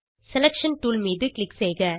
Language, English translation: Tamil, Click on the Selection tool